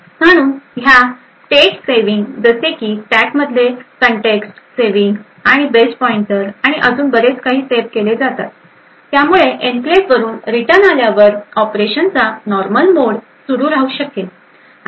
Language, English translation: Marathi, So, these states saving like context saving in the stack and base pointer and so on are saved so that after returning from the enclave the normal mode of operation can continue